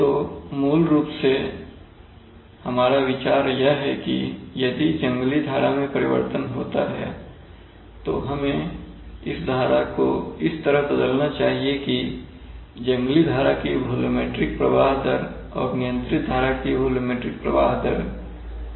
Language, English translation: Hindi, So basically I will tell you, our idea is that if the wild stream changes, we must change this stream in such a manner that the ratio of the volumetric flow rate in the wild stream and the volumetric flow rate in the controlled stream are maintained as constant, right